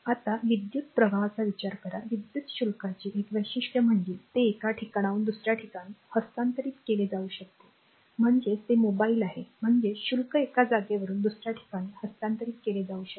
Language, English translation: Marathi, So, now, consider the flow of electric, a unique feature of electric charge is that it can be transfer from one place to another place; that means, it is mobile; that means, charge can be transfer for one place to another